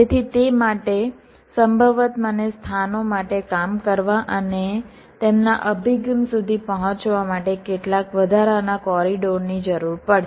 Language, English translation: Gujarati, so for that, possibly, i will need some additional corridors for places to work and reach their approach